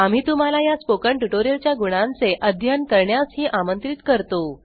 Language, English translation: Marathi, We also invite you to conduct efficacy studies on Spoken tutorials